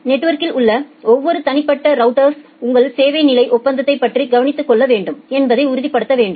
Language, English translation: Tamil, You need to ensure that every individual router in the network should take care of about your service level agreement